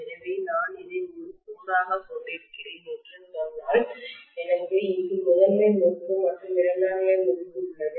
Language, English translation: Tamil, So if I am saying that I have probably this as a core and I have a got primary winding here and the secondary winding here